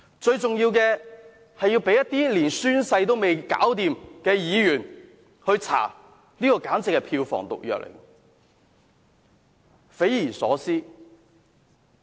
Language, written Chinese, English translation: Cantonese, 最重要的是，事件如果被一些連宣誓也未能完成的議員來調查，簡直會是票房毒藥，匪夷所思。, The most important thing is that if Members who have not even taken the Oath of this Council are allowed to inquire into the matter things would become so ridiculous that a huge uproar would be aroused among Hong Kong people